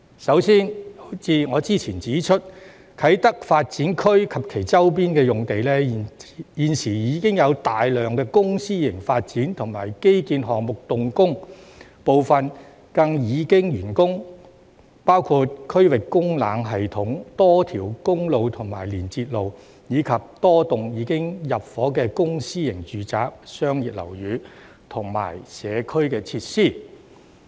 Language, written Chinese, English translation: Cantonese, 首先，正如我之前指出，啟德發展區及其周邊用地，現時已有大量公私營發展和基建項目動工，部分更已完工，包括區域供冷系統、多條公路及連接路，以及多幢已經入伙的公私營住宅、商業樓宇和社區設施。, First as I have pointed out before a large number of public and private developments and infrastructure projects are underway in the Kai Tak Development Area and its surrounding areas . Some of them have already been completed including the District Cooling System various highways and link roads as well as a number of public and private housing commercial buildings and community facilities which have already been occupied